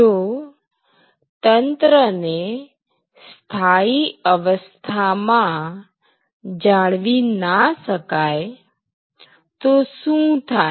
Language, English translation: Gujarati, So, what happens if the system is not at its steady state